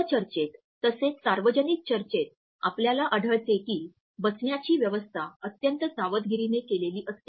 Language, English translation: Marathi, In panel discussions as well as another public discussions we find that the physical arrangement of seating is very meticulously designed